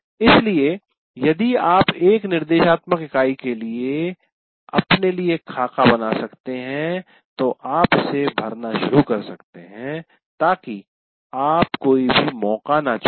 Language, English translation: Hindi, So if you have some kind of a, create a template for yourself, for instructional unit, then you can start filling it up so that you are not leaving anything to chance